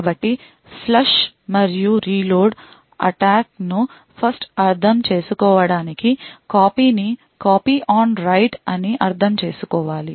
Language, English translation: Telugu, So to understand the flush and reload attacks we would 1st need to understand something known as Copy on Write